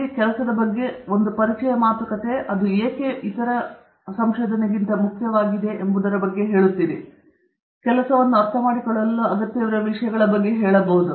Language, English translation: Kannada, An introduction talks about what is your work, you also talk about why is it important, you may say something about what is required to understand your work etcetera okay